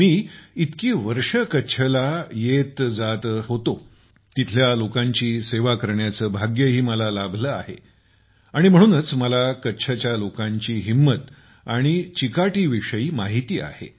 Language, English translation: Marathi, I have been going to Kutch for many years… I have also had the good fortune to serve the people there… and thats how I know very well the zest and fortitude of the people of Kutch